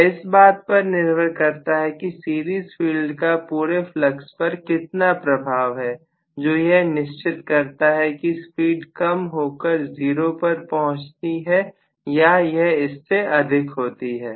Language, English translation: Hindi, Depending upon how much is the series field influenced on the overall flux, that will decide whether the speed will come down almost to 0 or whether it is going to remain somewhat higher, yes